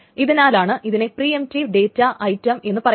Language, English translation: Malayalam, So that is why there is a preemptive data item